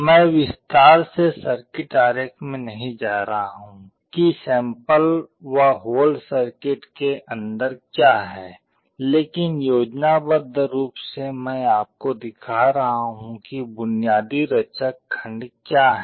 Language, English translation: Hindi, I am not going into the detail circuit diagram what is that inside the sample hold circuit, but schematically I am showing you what are the basic building blocks